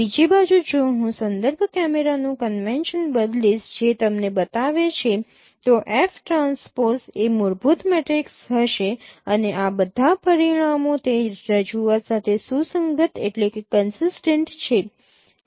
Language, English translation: Gujarati, On the other hand if I change the convention of reference camera that swap them then F transpose will be the fundamental matrix and all these results are consistent with that representation